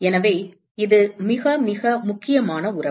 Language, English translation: Tamil, So, this is a very, very important relationship